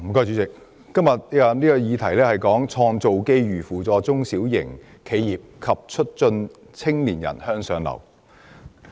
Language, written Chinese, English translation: Cantonese, 主席，今天的議題是"創造機遇扶助中小型企業及促進青年人向上流動"。, President todays subject is Creating opportunities to assist small and medium enterprises and promoting upward mobility of young people